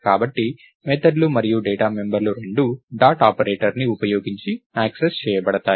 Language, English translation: Telugu, So, both the methods and the data members are accessed using dot operator